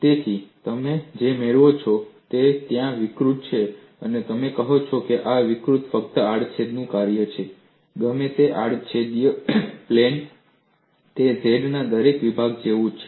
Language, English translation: Gujarati, So, what you gain is there is warping and you say this warping is function of only the cross section, whatever the cross sectional plane, it is same as every section of z